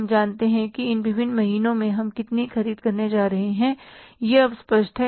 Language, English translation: Hindi, We know then how much we are going to purchase over these different months